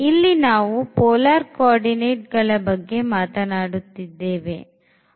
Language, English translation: Kannada, So, we are talking about the polar coordinate